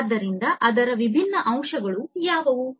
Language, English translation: Kannada, So, what are the different components of it